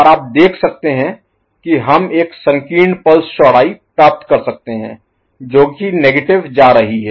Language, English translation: Hindi, And you can see that we can get a narrow pulse width which is negative going ok